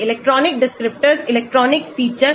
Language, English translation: Hindi, electronic descriptors electronic features